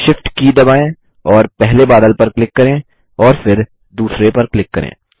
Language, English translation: Hindi, Press the Shift key and click the first cloud and then click on the second